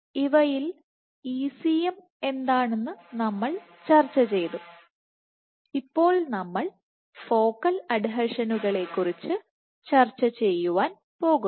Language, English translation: Malayalam, So, of these we discussed ECM and now we are going to start discussing focal adhesions